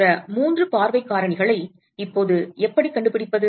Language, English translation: Tamil, How do we find the other three view factors now